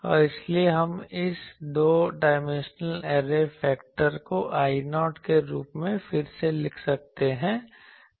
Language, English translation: Hindi, And so, we can rewrite this array factor two dimensional array factor as I 0